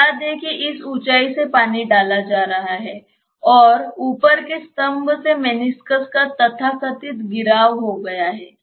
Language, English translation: Hindi, Let us say that the water is being poured from this height and there has been a so called depression of the meniscus from the top level